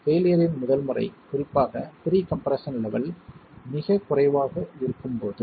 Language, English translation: Tamil, The first mode of failure is particularly when the pre compression levels are very low